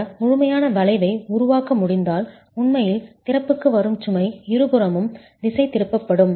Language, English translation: Tamil, If this complete arch can be formed then the load that is actually coming down to the opening gets diverted to the two sides